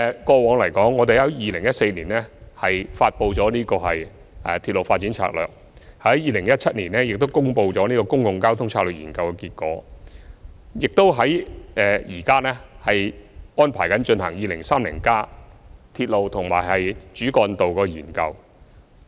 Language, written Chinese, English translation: Cantonese, 過往，我們在2014年發布了《鐵路發展策略2014》；在2017年亦公布了《公共交通策略研究》的結果；現時亦安排進行《跨越2030年的鐵路及主要幹道策略性研究》。, In the past we announced the Railway Development Strategy 2014 in 2014 and released the results of the Public Transport Strategy Study in 2017; and we are currently arranging for the Strategic Studies on Railways and Major Roads beyond 2030